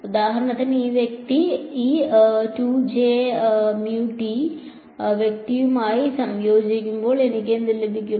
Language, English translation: Malayalam, So, for example, when this guy combines with this guy what will I get